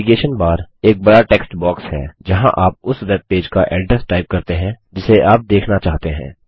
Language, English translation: Hindi, The Navigation bar is the large text box, where you type the address of the webpage that you want to visit